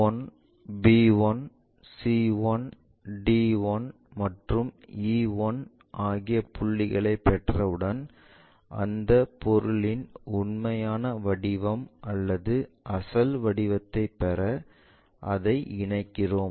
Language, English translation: Tamil, Once we have these points a, b 1, c 1, d 1 and e 1, we connect it to get the true shape or original shape of that object